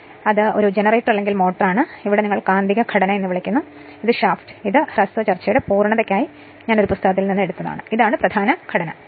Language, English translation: Malayalam, So, this is generator, or motor where your what you call magnetic structure and this is the shaft, this is I have taken from a book just for the sake of your to completeness of this brief discussion right and this is the main frame